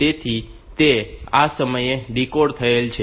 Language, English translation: Gujarati, So, it is decoded at this time